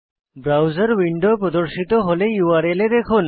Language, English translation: Bengali, When the browser window opens, look at the URL